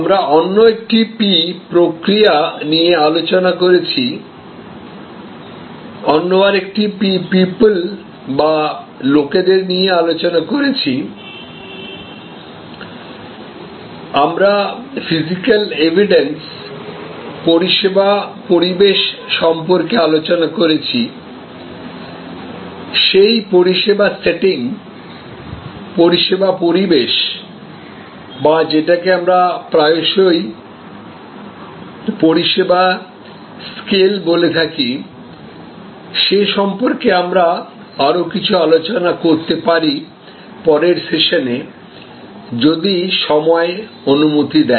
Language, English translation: Bengali, We have discussed about process another P, we have discussed about people another P, we have discussed about physical evidence, the service environment, we might discuss a little bit more about those service setting, service environment or what we often call service scale issues in a later session, if time permits